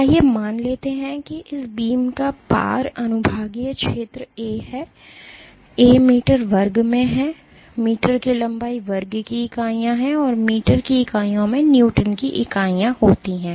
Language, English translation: Hindi, Let us assume that the cross sectional area of this beam is A, A is in meter square has units of meter square length has units of meters forces units of Newton